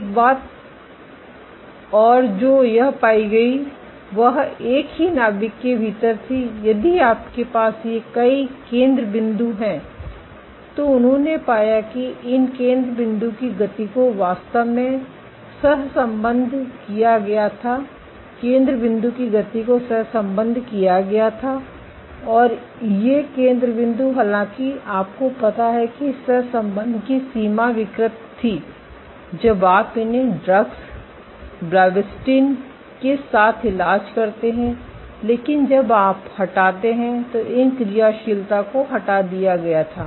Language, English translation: Hindi, One more thing that this found was within the same nucleus, if you have these multiple foci they found that the motion of these foci were actually correlated the motion of the foci were correlated and these foci though they you know the extent of correlation was perturbed, when you treated them with drugs like actin or blebbastatin but when you remove then again when you remove these actions were removed